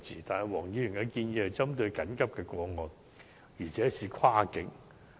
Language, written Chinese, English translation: Cantonese, 但是，黃議員的建議針對緊急的個案，而且要跨境。, But Mr WONGs suggestion is specific to emergency cases and it involves cross - boundary transport